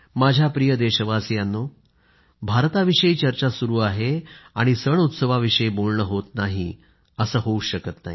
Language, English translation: Marathi, My dear countrymen, no mention of India can be complete without citing its festivals